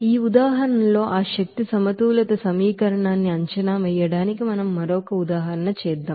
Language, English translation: Telugu, Now let us do another example, for assessing that energy balance equation with this example here